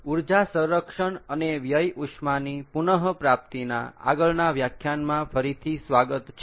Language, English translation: Gujarati, welcome back to the next lecture of energy conservation and waste heat recovery